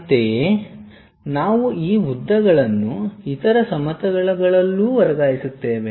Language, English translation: Kannada, Similarly, we will transfer these lengths on other planes also